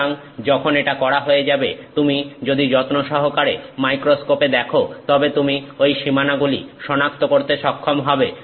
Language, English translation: Bengali, So, when this is done, if you look carefully in the microscope you may be able to identify those boundaries